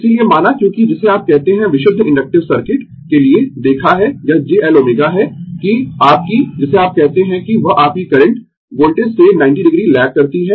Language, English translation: Hindi, Therefore, let because what you call for purely inductive circuit, we have seen it is j L omega right, that your what you call that your current lags 90 degree from the voltage right